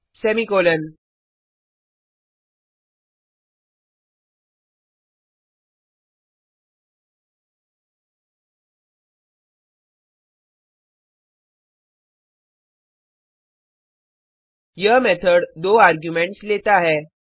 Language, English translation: Hindi, copyOf(marks, 5) This method takes two arguments